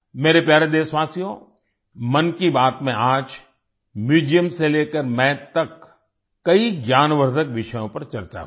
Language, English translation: Hindi, My dear countrymen, today in 'Mann Ki Baat', many informative topics from museum to maths were discussed